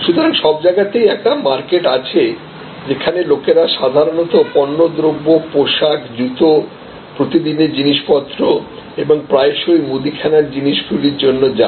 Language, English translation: Bengali, So, everywhere there will be a market place, where people will go for general merchandise apparel, shoes, daily ware stuff and often also for groceries